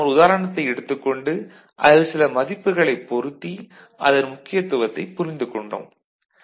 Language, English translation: Tamil, And, we have taken up one example case and put some values and understood its significance